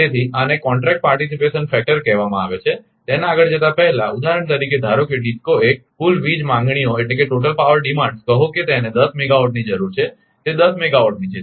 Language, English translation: Gujarati, So, these are called contract participation factor before moving that for example, suppose suppose DISCO 1 total power demands say it needs 10 megawatt right it 10 megawatt